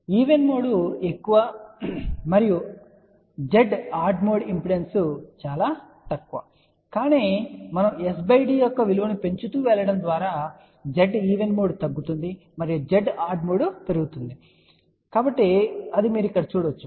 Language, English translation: Telugu, Even mode is higher and Z odd mode impedance is relatively lower , but as we go on increasing the value of s by d you can see that Z even mode decreases and Z odd mode increases